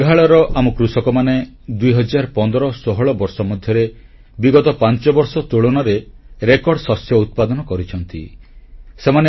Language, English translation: Odia, Our farmers in Meghalaya, in the year 201516, achieved record production as compared to the last five years